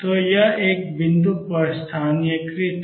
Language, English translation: Hindi, So, this is localized at one point